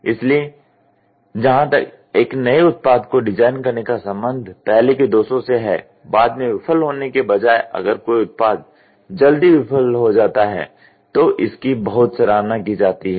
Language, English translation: Hindi, So, as far as designing a new product is concerned earlier the defects, if a product could fail early it is very much appreciated rather than a later failure